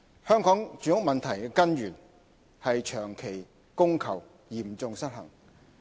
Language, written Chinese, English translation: Cantonese, 香港住屋問題的根源是長期供求嚴重失衡。, The root cause of the housing problem in Hong Kong is a prolonged and serious demand - supply imbalance